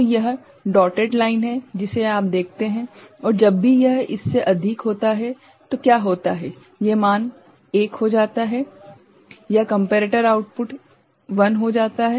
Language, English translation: Hindi, So, that is the dotted line you see and whenever it exceeds it what happens these value becomes 1 right, this comparator output becomes 1